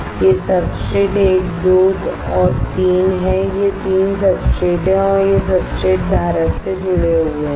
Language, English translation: Hindi, These are substrate 1 2 and 3 these are 3 substrates and they are connected to the substrate holder